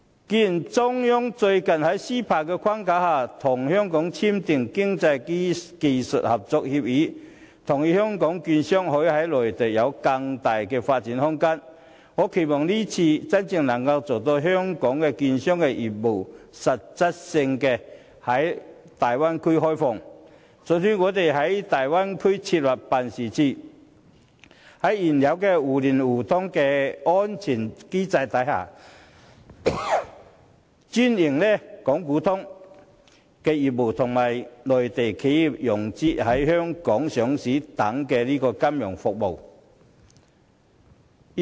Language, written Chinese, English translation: Cantonese, 既然中央最近在 CEPA 的框架下，與香港簽訂《經濟技術合作協議》，同意香港券商可以在內地有更大的發展空間，我期望這次真能做到向香港券商實質開放業務，准許我們在大灣區設立辦事處，在現有互聯互通的安全機制下，專營港股通業務，以及協助內地企業融資，提供在香港上市等金融服務。, As the Central Government has recently signed the Ecotech Agreement with Hong Kong under the CEPA framework to give more room for Hong Kong securities dealers to develop in the Mainland I hope that the Mainland will really open up its market to Hong Kong securities dealers allowing us to set up offices in the Bay Area exclusively operating the trading through southbound links under the current security system established for mutual stock market access and assisting Mainland enterprises in financing by offering financial services such as listing in Hong Kong